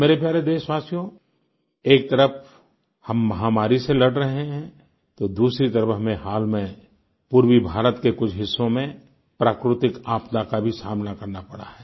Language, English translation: Hindi, on one hand we are busy combating the Corona pandemic whereas on the other hand, we were recently confronted with natural calamity in certain parts of Eastern India